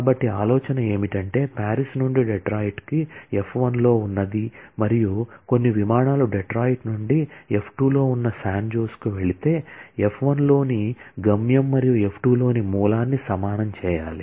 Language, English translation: Telugu, So, the idea is, if something goes from Paris to Detroit that is in f 1 and if some flight goes from Detroit to San Jose that is in f 2, then the destination in f1 and the source in f2 have to be equated